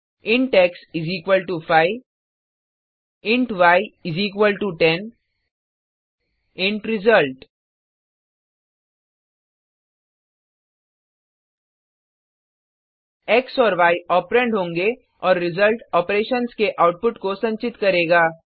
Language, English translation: Hindi, int x = 5 int y = 10 int result x and y will be the operands and the result will store the output of operations